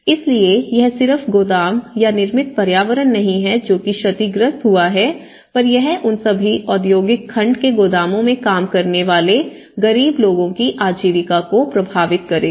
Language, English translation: Hindi, So, it has not only the godown or not only the built form which has been collapsed or damaged but it will indirectly affect the livelihoods of the poor people who are working in that godown, so all the industrial segment